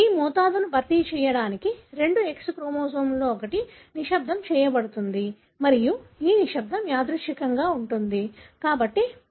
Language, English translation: Telugu, To compensate the dosage, one of the two X chromosomes gets silenced and this silencing is random